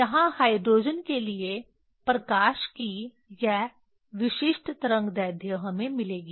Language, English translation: Hindi, Here for hydrogen this typical wavelength of light we will get